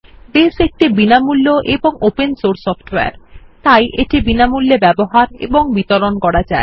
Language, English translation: Bengali, Base is free and open source software, free of cost and free to use and distribute